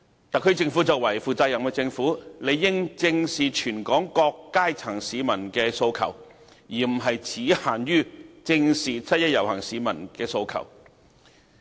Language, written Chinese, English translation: Cantonese, 特區政府作為負責任的政府，理應正視全港各階層市民的訴求，而不只限於"正視七一遊行市民的訴求"。, As a responsible government the SAR Government is duty - bound to face up to the aspirations of people from all walks of life and not only people participating in the 1 July march